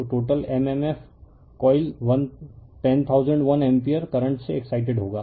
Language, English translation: Hindi, So, total m m f will be coils excited by 1000 1 ampere current